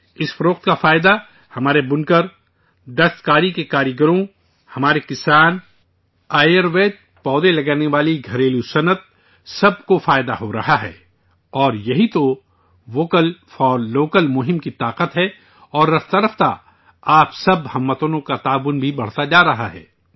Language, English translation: Urdu, Benefiting from these sales are our weavers, handicraft artisans, our farmers, cottage industries engaged in growing Ayurvedic plants, everyone is getting the benefit of this sale… and, this is the strength of the 'Vocal for Local' campaign… gradually the support of all you countrymen is increasing